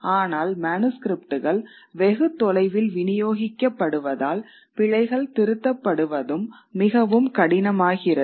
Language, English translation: Tamil, But because the manuscripts are far distributed, these correction of errors also become much more difficult